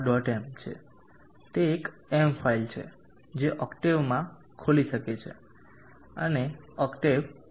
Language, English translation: Gujarati, m, it is a m file that can be opened in octave and run in octave